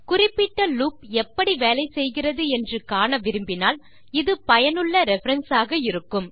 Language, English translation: Tamil, This will be useful as a reference also if you need to refer to how a particular loop works